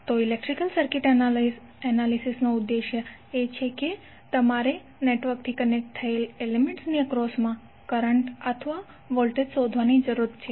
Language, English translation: Gujarati, So the objective of the electrical circuit analysis is that you need to find out the currents and the voltages across element which is connect to the network